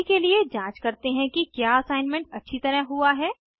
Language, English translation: Hindi, For now, lets check whether the assignment is done properly